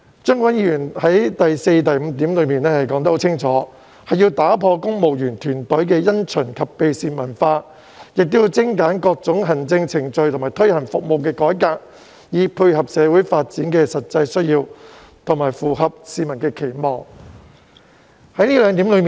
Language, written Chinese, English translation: Cantonese, 張國鈞議員在第四及五點清楚指出要打破公務員團隊的因循及避事文化，以及精簡各種行政程序及推行服務改革，以配合社會發展的實際需要及符合市民期望。, In points 4 and 5 Mr CHEUNG Kwok - kwan has clearly pointed out the need to break the civil services culture of procrastination and evasion of responsibilities as well as to streamline various administrative procedures and implementing service reforms so as to meet the practical needs of social development and public expectations